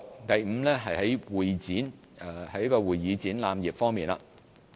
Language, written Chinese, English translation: Cantonese, 第五，是會議展覽業方面。, Fifth it is about convention and exhibition CE